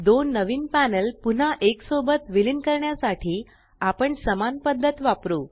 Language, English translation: Marathi, Now, To merge the two new panels back together, we use the same method